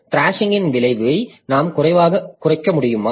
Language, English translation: Tamil, So can we limit the effect thrashing